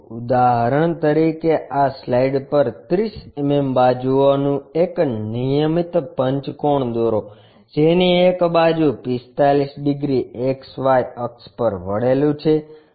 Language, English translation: Gujarati, For example, on this slide, draw a regular pentagon of 30 mm sides with one side is 45 degrees inclined to XY axis